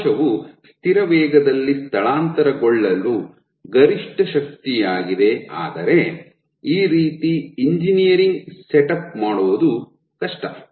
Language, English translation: Kannada, So, this is the maximum force at which the cell can migrate at a constant speed, but this setup is difficult to engineer